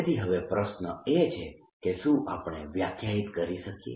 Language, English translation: Gujarati, the question we are now ask where is, can we define